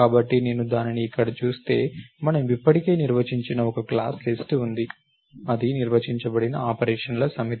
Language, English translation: Telugu, So, if I look at it over here, there is a class list which we have already defined that is a set of operations which are defined on it